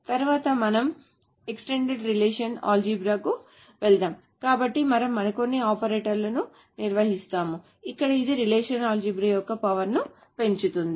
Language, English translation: Telugu, Next we will go over an extended relational algebra so we will define some more operators where it does actually increase the power of relational algebra